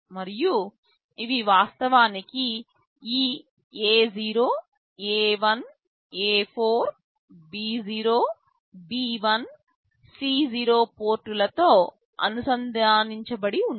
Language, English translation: Telugu, And these are actually connected to these ports A0, A1, A4, B0, B1, C0